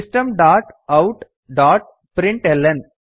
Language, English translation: Kannada, System dot out dot println